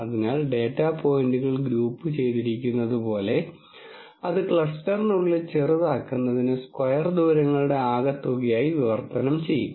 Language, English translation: Malayalam, So, that like data points are grouped together which would translate to minimizing within cluster, sum of square distances